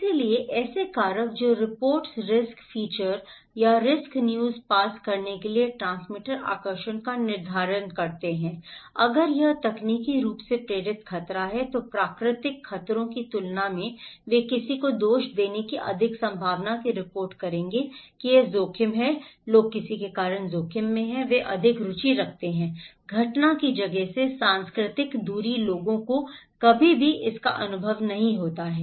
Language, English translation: Hindi, So, factors that determine transmitter attractiveness to pass report risk informations or risk news is, if it is technologically induced hazard then compared to natural hazards they will report more possibility to blame someone that it is this risk, people are at risk because of someone then they are more interested, cultural distance from the place of occurrence people never experience this one